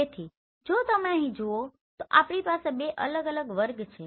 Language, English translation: Gujarati, So if you see here we have two different categories